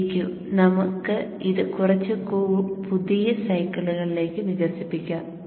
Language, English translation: Malayalam, VQ, let us expand it to just see a few cycles and you would see